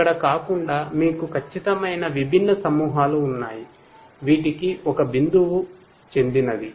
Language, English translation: Telugu, Unlike over here where you have definite you know distinct clusters to which one point is going to belong to